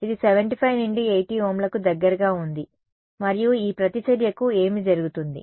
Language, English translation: Telugu, It is close to 75 to 80 Ohms and what happens to this reactance